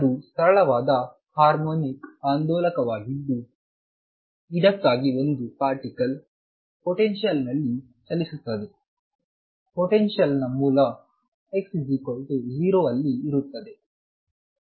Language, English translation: Kannada, And that is a simple harmonic oscillator for which a particle moves in a potential let us see the potential is centered around x equals 0